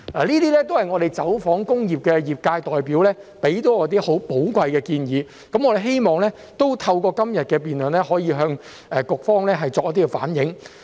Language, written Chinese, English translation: Cantonese, 這些也是我們走訪工業界代表提出的多項寶貴建議，我們希望透過今天的辯論，可以向局方反映。, These are a number of valuable suggestions made by representatives of the industrial sector during our visits and we hope that through todays debate we can reflect them to the Bureau